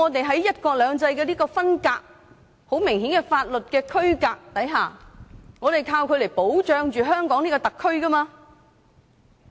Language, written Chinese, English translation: Cantonese, 在"一國兩制"的分隔和很明顯的法律區隔下，我們是依靠《基本法》來保障香港特區的。, The demarcation of one country two systems and the clear demarcation in terms of law are dependent on the protection provided by the Basic Law to the SAR